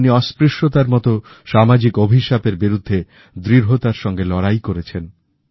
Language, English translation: Bengali, He stood firm against social ills such as untouchability